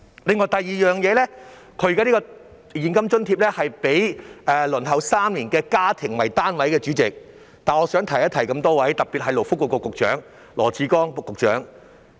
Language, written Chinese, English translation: Cantonese, 另一方面，代理主席，政府提供這項現金津貼時，是以已輪候公屋3年的家庭為單位，但我想提醒諸位局長，特別是勞工及福利局局長羅致光。, On the other hand Deputy President the Government provides the cash allowance to households that have waited for public rental housing for three years but I would like to give a reminder to the Secretaries particularly Secretary for Labour and Welfare Dr LAW Chi - kwong